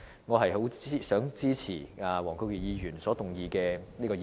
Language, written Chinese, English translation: Cantonese, 我支持黃國健議員動議的議案。, I support the motion moved by Mr WONG Kwok - kin